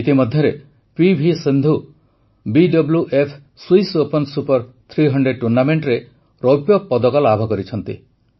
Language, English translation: Odia, Meanwhile P V Sindhu ji has won the Silver Medal in the BWF Swiss Open Super 300 Tournament